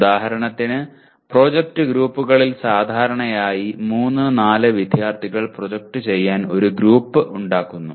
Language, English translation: Malayalam, For example in project groups generally 3, 4 students form a group to do the project